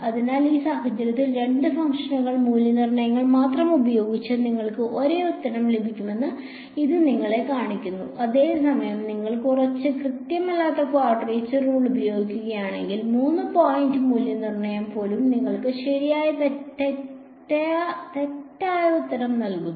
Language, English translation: Malayalam, So, this just shows you that you can get the same answer by having only 2 function evaluations in this case whereas, if you use a slightly inaccurate quadrature rule even a 3 point evaluation gives you the wrong answer ok